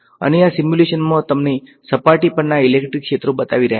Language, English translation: Gujarati, And this simulation is showing you the electric fields on the surface